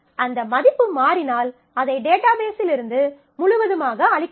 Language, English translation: Tamil, So, if that value changes, then you completely erase that in the database